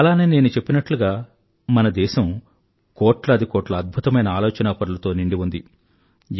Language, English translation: Telugu, And as I mentioned, our country is blessed with millions and millions of the brightest of brains